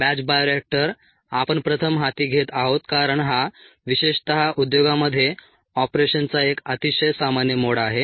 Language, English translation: Marathi, the batch bioreactor ah we are first taking up because it is a very common mode of operation, especially in the industries